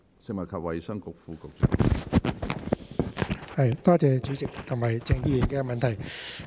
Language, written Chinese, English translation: Cantonese, 食物及衞生局副局長，請作答。, Under Secretary for Food and Health please